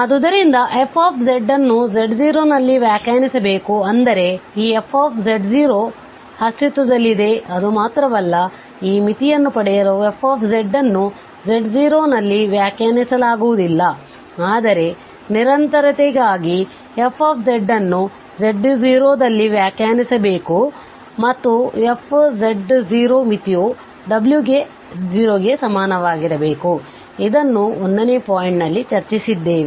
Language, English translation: Kannada, So f z must be defined at z naught that means this f z naught exists just not that, that for getting this limit f z may not be defined at z naught but for continuity the f z must be defined at z naught and this f z naught must be equal to the limit w naught, which we have just discuss in this point 1